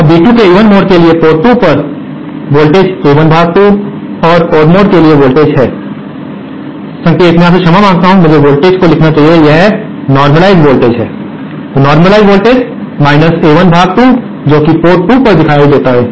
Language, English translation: Hindi, Now for B2 for the even mode, the voltage that appears at port 2 is A1 upon 2 and for odd mode the voltage that, the signal, I beg your pardon, I should notsay voltage, it is a normalised voltage, the normalised voltage that appears at port 2 is A1 upon 2